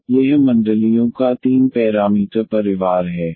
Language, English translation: Hindi, So, this is the 3 parameter family of circles